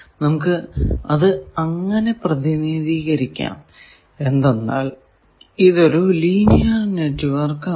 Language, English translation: Malayalam, So, we can represent, since it is linear network